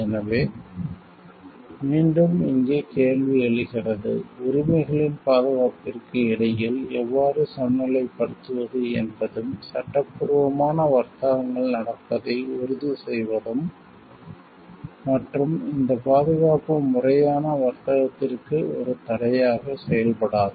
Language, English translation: Tamil, So, again the question comes here is how to balance between the protection of the rights and also to ensure like the legitimate trades happens and this protection does not act as a barrier to the legitimate trade